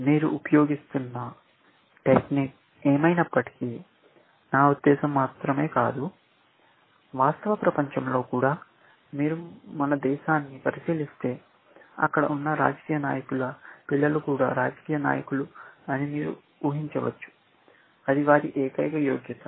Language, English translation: Telugu, Whatever is the technique that you are using, I mean, not only for us, but even in the real world, you can imagine that if you look at our country, you will find the politicians there children, are politicians, that is their only merit